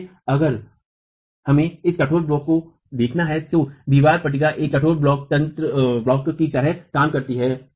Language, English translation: Hindi, So, if you were to look at this rigid block now, the wall panel acts like a rigid block